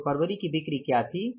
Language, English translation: Hindi, So, what were the February sales